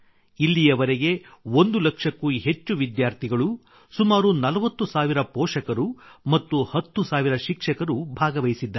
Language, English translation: Kannada, So far, more than one lakh students, about 40 thousand parents, and about 10 thousand teachers have participated